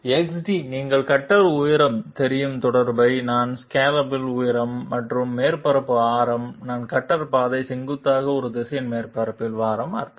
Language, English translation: Tamil, XD will also be related to you know the cutter height I mean the scallop height and the radius of the surface I mean radius of curvature of the surface in a direction perpendicular to the cutter path